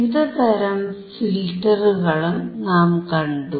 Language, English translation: Malayalam, And we have also seen the type of filters